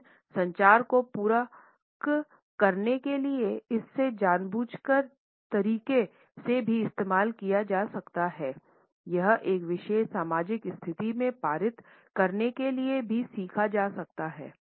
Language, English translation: Hindi, But it can also be used in an intentional manner in order to complement the communication it can also be learnt to pass on in a particular social situation